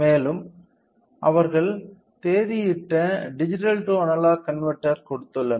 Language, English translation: Tamil, And, they have also given with the dated digital to analogue conversion